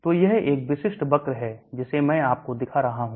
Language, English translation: Hindi, So this is the typical curve I have been showing